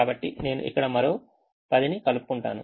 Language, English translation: Telugu, so let me just add another ten here